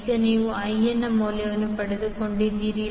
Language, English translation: Kannada, So now you got the value of I